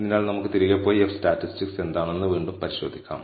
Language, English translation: Malayalam, So, let us go back and revisit what the F statistic is